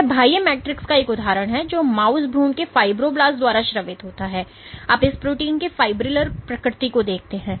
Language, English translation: Hindi, So, this is an example this this is an example of the extracellular matrix which is secreted by mouse embryonic fibroblast, you see the fibrillar nature of this protein